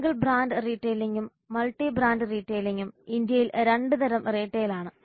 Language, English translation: Malayalam, Single brand retailing and multi brand retailing are two types of retailing in India